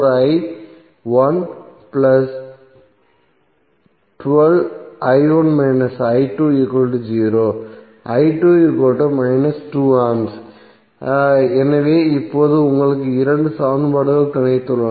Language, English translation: Tamil, So now you have got two equations